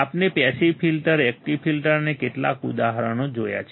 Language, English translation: Gujarati, We have seen the passive filter, active filter and some of the examples